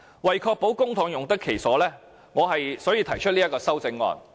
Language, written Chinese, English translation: Cantonese, 為確保公帑用得其所，我因此提出修正案。, In order to ensure proper use of our public money I put forward this amendment